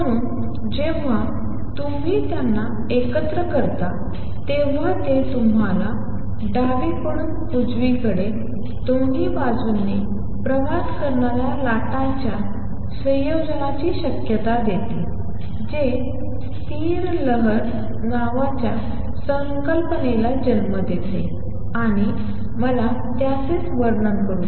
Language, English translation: Marathi, So, only when you combine them, it gives you the possibility of combination of waves travelling both to the left to the right now that gives rise to the concept called stationary wave and let me describe that